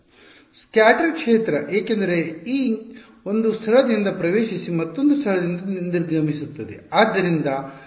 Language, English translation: Kannada, Scatter field because e incident will enter from one place and exit from another place